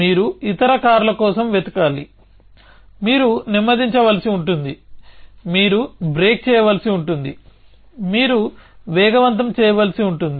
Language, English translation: Telugu, You have to look out for other cars, you may have to slow, you may have to break, you may have to accelerate